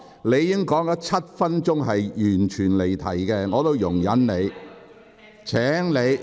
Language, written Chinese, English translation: Cantonese, 你已經發言7分鐘，但一直離題，只是我在容忍你而已。, You have spoken for seven minutes but your speech has all along digressed from the subject . I have all along been tolerating you